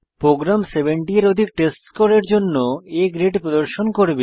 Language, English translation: Bengali, The program will display A grade for the testScore greater than 70